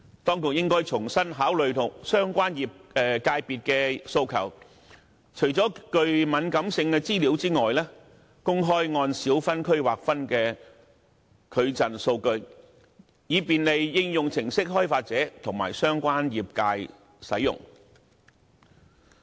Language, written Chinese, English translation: Cantonese, 當局應該重新考慮相關界別的訴求，除了敏感資料外，公開按小分區劃分的矩陣數據，以便利應用程式開發者和相關業界使用。, The authorities should consider afresh the requests of the relevant sectors to publish except sensitive information the TPEDM data by small district so as to facilitate application developers and the relevant sectors in using the data